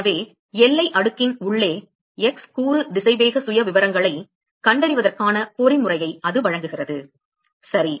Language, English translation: Tamil, So, that provides the mechanism to find the x component velocity profiles inside the boundary layer ok